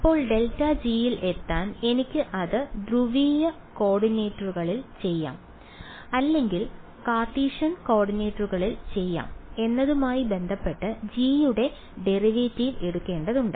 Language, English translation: Malayalam, Now to get at grad g I need to take the derivative of g with respect to I can do it in polar coordinates or I can do it in Cartesian coordinates